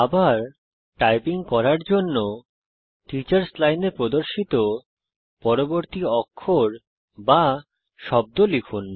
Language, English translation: Bengali, To resume typing, type the next character or word, displayed in the Teachers line